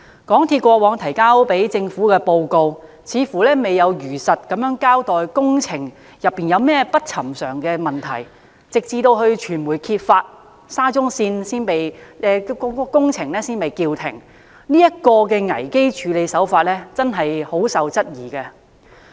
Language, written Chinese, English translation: Cantonese, 港鐵公司過往向政府提交的報告，似乎沒有如實交代工程有何不尋常之處，直至傳媒揭發事件，沙中線工程才被叫停，這種處理危機手法備受質疑。, It appears that the reports previously submitted by MTRCL to the Government have not truly reflected the abnormalities observed in the works . The works of the SCL Project were suspended only after the media had exposed the incident . Such crisis management has attracted much criticism